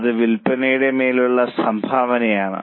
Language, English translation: Malayalam, It is contribution upon sales